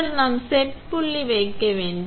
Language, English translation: Tamil, Then we have to put a set point